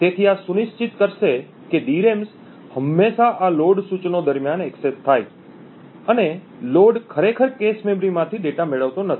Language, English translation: Gujarati, So this would ensure that the DRAMs are always accessed during these load instructions and the load does not actually obtain the data from the cache memories